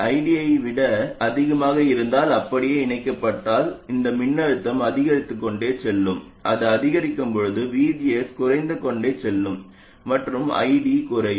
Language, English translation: Tamil, Similarly, if ID is less than I 0, this voltage will keep on falling, VGS will go on increasing and the current will go on increasing